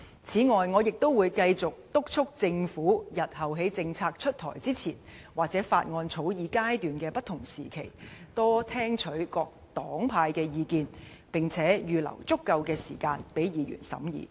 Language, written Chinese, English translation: Cantonese, 此外，我亦會繼續督促政府日後在政策出台前，或法案草擬階段的不同時期，多聽取各黨派的意見，並預留足夠的時間讓議員審議。, In addition I will continue to urge the Government to take on board the views of various political parties and groupings more often before introducing a policy in future or throughout the various stages of the bill drafting process and allow sufficient time for Members scrutiny